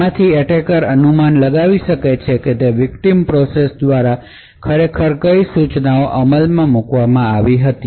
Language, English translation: Gujarati, So from this the attacker can infer what instructions were actually executed by the victim process